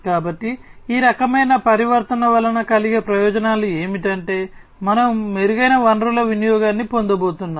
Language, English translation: Telugu, So, the benefits that are going to be resulting from this kind of transitioning is that we are going to have improved resource utilization